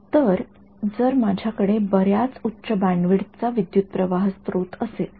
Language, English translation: Marathi, So, if I have a very high bandwidth current source right